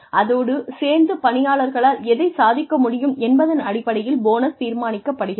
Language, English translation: Tamil, And, the bonuses are decided, on the basis of, what the employee has been able to achieve